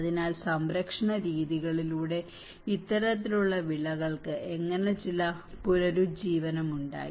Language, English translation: Malayalam, So, how there has been some revival of these kinds of crops through the conservation methods